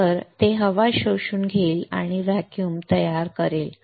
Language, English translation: Marathi, So, it will suck up the air and will create a vacuum